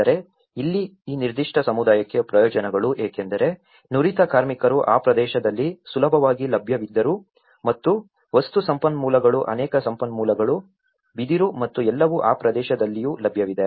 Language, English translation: Kannada, But here, the benefits for these particular community was because the skilled labour was also easily available in that region number one and the material resources many of the resources bamboo and all, they are also available in that region